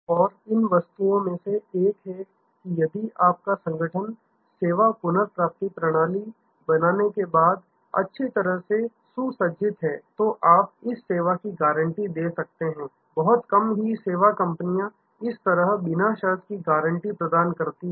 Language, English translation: Hindi, And one of the things that if your organization is well equipped after handling creating the service recovery system, then you can give this service guarantee, very few you service companies give this unconditioned guarantee